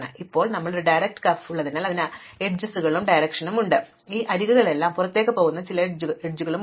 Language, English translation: Malayalam, Now, since we have a directed graph we have directions on the edges, we have some edges which are coming in and some edges which are going out